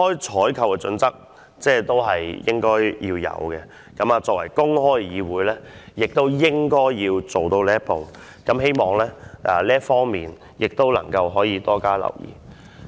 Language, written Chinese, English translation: Cantonese, 採購的準則應該要公開，作為公開的議會，應該做到這一步，希望要多加留意這方面。, The procurement criteria should be open . Being an open Council we should be able to reach this stage